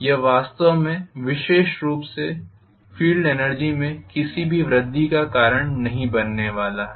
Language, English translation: Hindi, It is not really going to cause specifically intentionally any increase in field energy at all